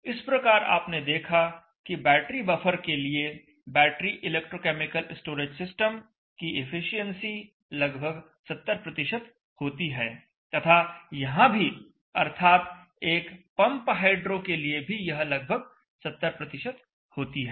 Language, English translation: Hindi, So you saw that even in the case of the battery buffer the efficiency of the battery electrochemical storage system is around 70 percent here also it is around 70 percent